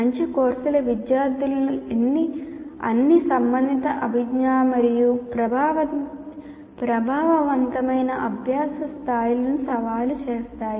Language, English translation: Telugu, Good courses challenge students to all the relevant cognitive and affective levels of learning